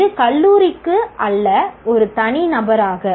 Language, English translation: Tamil, This is as an individual, not for the college